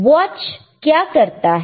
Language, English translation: Hindi, wWhat does a watch do